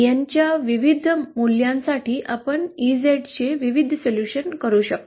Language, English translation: Marathi, For various values of n, we can have various solutions of EZ